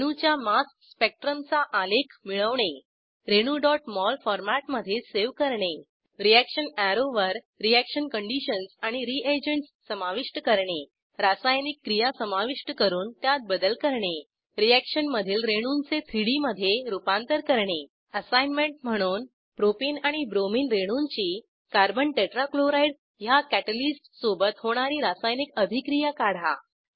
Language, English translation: Marathi, * Obtain graph of mass spectrum of a molecule * Save the molecule in .mol format * Add reaction conditions and reagents on the reaction arrow * Add and edit a reaction * Convert reaction molecules into 3D structures As an assignment Draw chemical reaction of: 1)Propene and Bromine molecule with Carbon tetra chloride as a catalyst